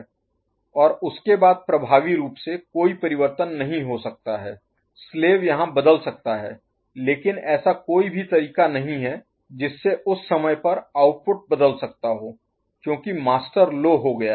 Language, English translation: Hindi, And after that there is effectively no change can occur slave can change here, but no way the output can alter at time because the master has gone low